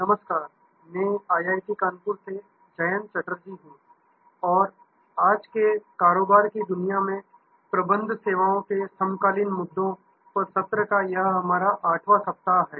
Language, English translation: Hindi, Hello, this is Jayanta Chatterjee from IIT, Kanpur and this is our 8th week of sessions on Managing Services Contemporary Issues in the present day world of business